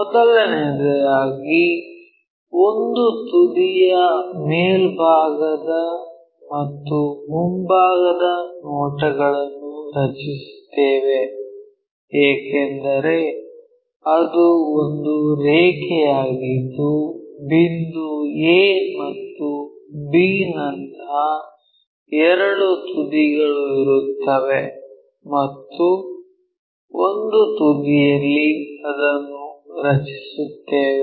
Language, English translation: Kannada, First of all we will draw the top and front views of one of the ends because it is a line there will be two ends like a point and b point and one of the ends we will draw it